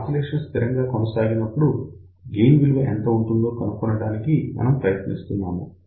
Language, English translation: Telugu, So, we are trying to find out what is the gain at that particular point when the oscillations are sustained